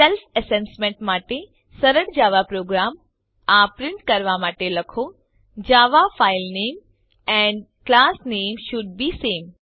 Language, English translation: Gujarati, For self assessment write a simple java program to print Java file name and class name should be same